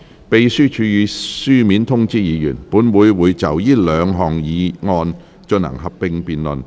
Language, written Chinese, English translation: Cantonese, 秘書處已書面通知議員，本會會就這兩項議案進行合併辯論。, The Secretariat has informed Members in writing that this Council will proceed to a joint debate on the two motions